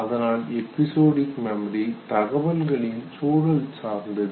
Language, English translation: Tamil, So retrieval of episodic memory is also a state dependent